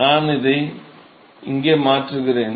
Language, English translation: Tamil, I substitute that here